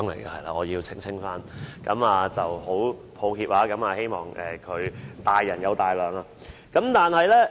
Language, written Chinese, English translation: Cantonese, 我要首先澄清，很抱歉，希望他大人有大量。, I need to clarify in the first place . I am very sorry and hope that he would not mind about that